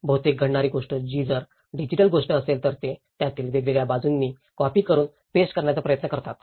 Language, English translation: Marathi, If it was a digital thing what happens is mostly, they try to copy and paste from different aspects of it